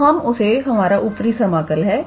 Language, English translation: Hindi, So, that is basically our upper integral